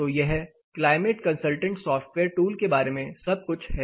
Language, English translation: Hindi, So, this is all about climate consultant software tool